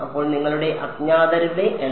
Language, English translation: Malayalam, So, your number of unknowns